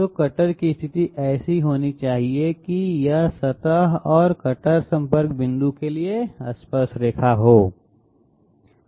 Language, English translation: Hindi, So the cutter position has to be such that it should be tangential to the surface and the cutter contact point